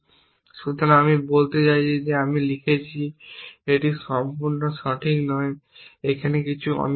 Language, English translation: Bengali, So, that is a i mean I have written may be it is not quite correct something is missing here